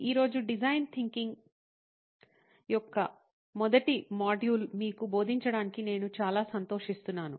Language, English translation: Telugu, Today, I am very excited to present to you the first module of design thinking